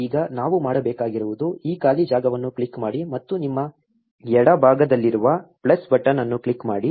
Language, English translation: Kannada, Now, what we have to do is click this free space and click on the plus button in your left